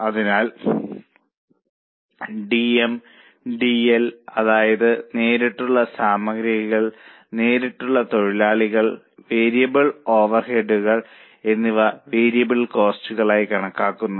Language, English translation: Malayalam, So, DM, DL, that is direct material, direct labor and variable overheads are considered as variable costs